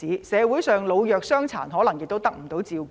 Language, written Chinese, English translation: Cantonese, 社會上老弱傷殘可能得不到照顧。, The elderly the weak and the disabled in society may not get the services they need